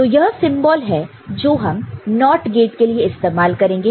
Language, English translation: Hindi, So, this is the symbol that we shall be using for NOT gate